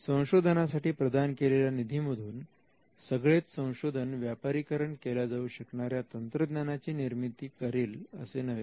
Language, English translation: Marathi, So, giving fund for research it need not in all cases result in commercially viable technology